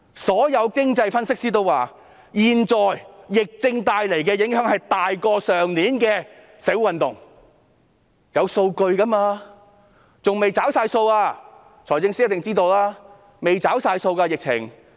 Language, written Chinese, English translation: Cantonese, 所有經濟分析師都表示，現在疫症帶來的影響大於去年的社會運動，這是有數據的，而且還未完全"找數"。, All economic analysts have advised that the impact brought about by the prevailing epidemic exceeds that of the social movement last year . These views are supported by figures . Besides the impact has not yet been fully reflected